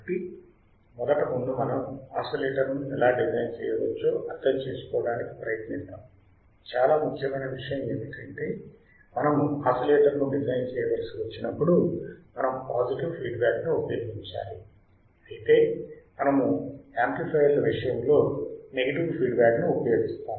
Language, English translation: Telugu, So, first before we understand how we can design the oscillator, the most important point is that when we have to design a oscillator we have to use positive feedback we have to use positive feedback; in case of amplifiers we were using negative feedback